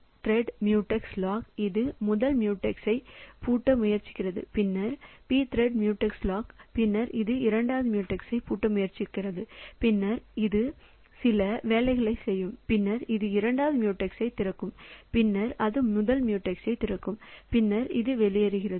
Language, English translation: Tamil, So, p thread mute x lock it is trying to lock the first mute x and then p thread mutex lock then it is trying to lock the second mutex then it will do some work then it will unlock the first mute second mute x and then it will unlock the first mute x then it will unlock the first mute x then it exits